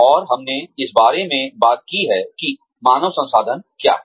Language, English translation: Hindi, And, we have talked about, what human resources is